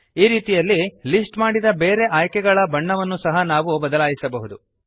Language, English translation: Kannada, In this way, we can change the colour of the other listed options too